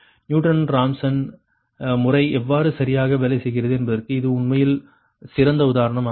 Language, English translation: Tamil, actually this ah example taken to so that how newton rawson method works, right